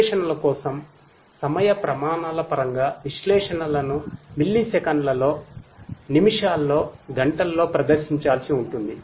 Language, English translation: Telugu, In terms of the time scales for analytics; analytics will have to be performed in milliseconds, in minutes, in hours